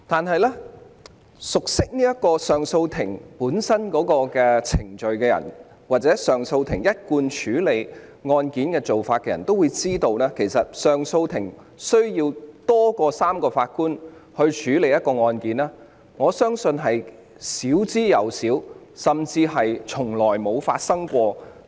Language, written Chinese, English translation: Cantonese, 可是，熟悉上訴法庭程序或其一貫處理案件的做法的人都知道，上訴法庭需要多於3名法官處理案件的情況相當少，甚至從未發生。, However as people who are familiar with the procedures or established practice of CA in handling cases may be aware it is pretty rare or even unprecedented for cases to be heard by more than three JAs